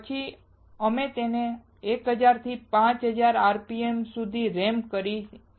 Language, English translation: Gujarati, Then we ramp it up to 1000 to 5000 rpm